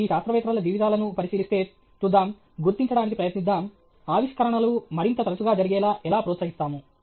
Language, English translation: Telugu, If you look at these lives of these scientists, let us see, let us try to figure out, how can we encourage discoveries to occur more frequently